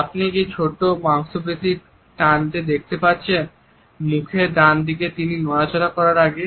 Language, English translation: Bengali, Do you see this little twitch on the right side of his face here before he shakes